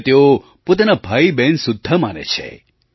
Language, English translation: Gujarati, They even treat them like their brothers and sisters